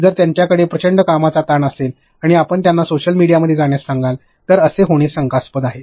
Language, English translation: Marathi, If they have tremendous workload and you are going to tell them to go into social media and do it, again questionable